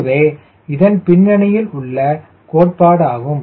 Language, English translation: Tamil, this is the theory behind it